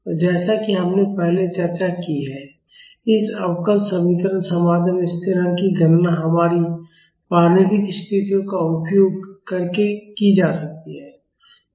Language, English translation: Hindi, And, as we have discussed earlier the constant in this differential equation solution can be calculated using our initial conditions